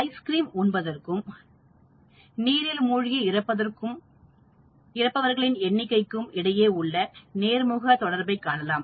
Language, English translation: Tamil, There is a positive correlation between ice cream consumption and number of drowning deaths in a given period